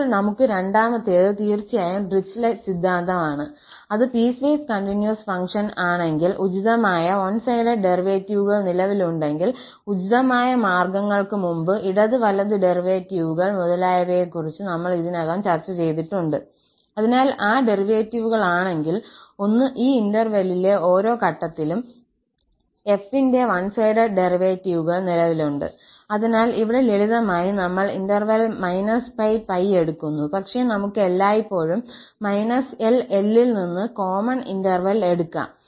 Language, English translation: Malayalam, Then the second one we have is exactly the Dirichlet theorem which says that if the function is piecewise continuous and the appropriate one sided derivatives exist, we have already discussed before appropriate means those left and right derivatives etcetera, so, if those derivatives, the one sided derivatives of f at each point in this interval exist, so, here just for simplicity, we are taking minus pi to pi but we can always take it rather general interval from minus L to L